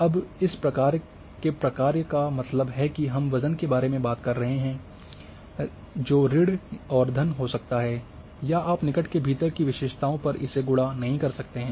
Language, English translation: Hindi, Now type of function these means we are talking about the weight may be minus may be plus or you will not to multiply so on, on the attributes within the neighbourhood